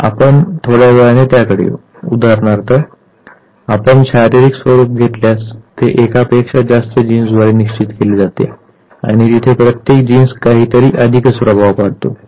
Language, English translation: Marathi, Now if the physical appearance is determined by more than one gene where each gene makes some additive effect